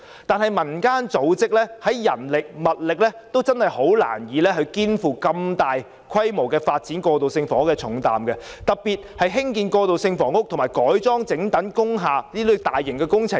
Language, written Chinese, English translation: Cantonese, 然而，民間組織的人力物力難以肩負如此大規模發展過渡性房屋的重擔，特別是興建過渡性房屋及改裝整幢工廈等大型工程。, However community organizations do not have the human and material resources to take up the heavy burden of developing transitional housing on such a large scale especially big projects like building transitional housing and converting whole industrial buildings